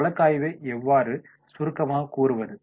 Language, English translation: Tamil, How we will summarise the case